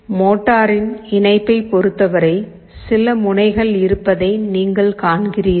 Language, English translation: Tamil, Regarding the interface of the motor, you see there are some terminals